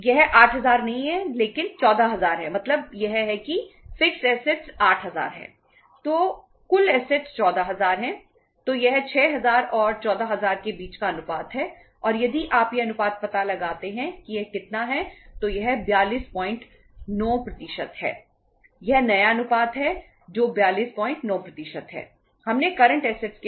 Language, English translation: Hindi, It is not 8000 but 14000 means this is the fixed asset is 8000